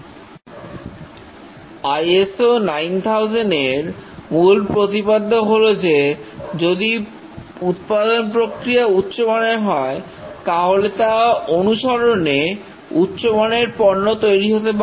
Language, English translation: Bengali, The ISO 9,000 is based on the quality assurance principles that if a good production process is followed, good quality products are bound to follow